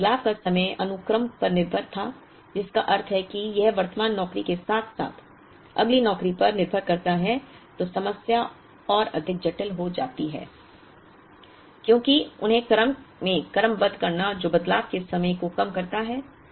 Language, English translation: Hindi, If the changeover times were sequence dependent which means it depends both on the current job as well as the next job to be done then the problem gets far more complicated because sequencing them to in the order that minimizes the sum of changeover times